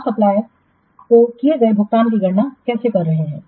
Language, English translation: Hindi, How you are calculating the payment that has to make to the supplier